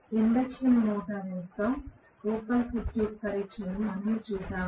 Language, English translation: Telugu, We had seen the open circuit test of the induction motor